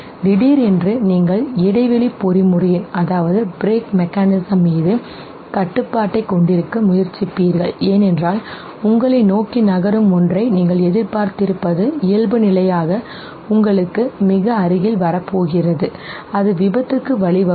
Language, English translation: Tamil, Suddenly you would try to have control over the break mechanism, because you anticipated something that is moving towards you is by default going to come very near to you and it might lead to accident okay